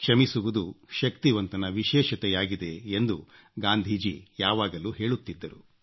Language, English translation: Kannada, And Mahatma Gandhi always said, that forgiveness is the quality of great men